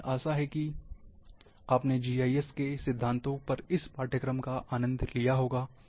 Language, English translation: Hindi, So, thank you very much, and I hope you have enjoyed this course, on principles of GIS